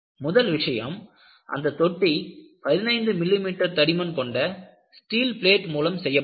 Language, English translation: Tamil, First thing is, the tank was made of 15 millimeter thick steel plates